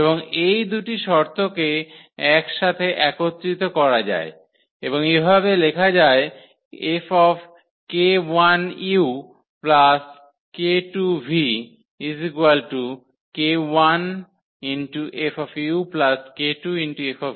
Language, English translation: Bengali, And these 2 conditions can be combined into one and as follows that F times this k 1 plus k 2 v is equal to k 1 F u plus k 2 F v